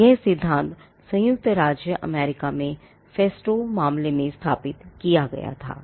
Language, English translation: Hindi, So, this principle was established in the festo case in the United States